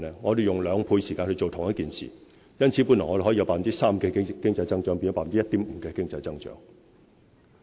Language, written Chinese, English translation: Cantonese, 我們用兩倍時間做同一件事，因此，我們本來可以有 3% 的經濟增長，亦變成 1.5% 的經濟增長。, We have spent twice the time to do one work . Thus while we could have achieved an economic growth rate of 3 % the rate is now 1.5 %